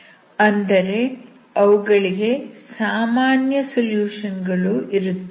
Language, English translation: Kannada, That means it will also have a general solution